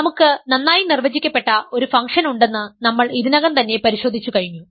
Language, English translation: Malayalam, We have already checked that we have a well defined function